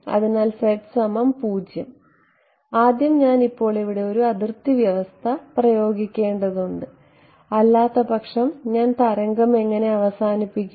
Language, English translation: Malayalam, So, z equal to 0 first of all I need to now impose a boundary condition here otherwise how will I terminate the wave